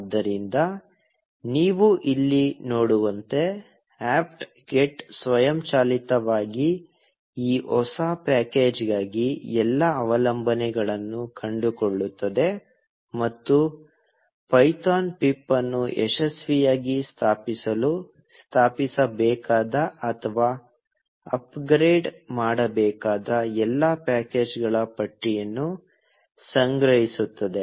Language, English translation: Kannada, So, as you can see here, apt get automatically finds out all the dependencies for this new package, and gathers a list of all the packages that would need to be installed, or upgraded, to successfully install python pip